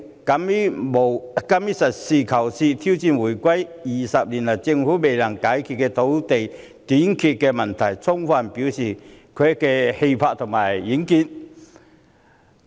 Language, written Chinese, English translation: Cantonese, 特首敢於實事求是，挑戰回歸20年以來政府未能解決的土地短缺問題，充分展現她的氣魄和遠見。, The Chief Executive dares to be pragmatic and take the challenges of the land shortage problem that the Government has failed to solve over the past 20 years since the reunification . It fully demonstrates her courage and foresight